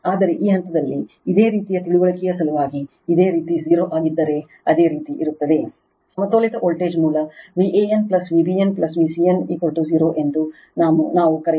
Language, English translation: Kannada, But, for the sake of your understanding at this stage you just assume that your if this is 0, there will be your, what we call for balanced voltage source V a n plus V b n plus V c n is equal to 0 right